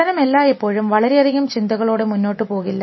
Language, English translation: Malayalam, So, learning does not always go on with lot of thinking what you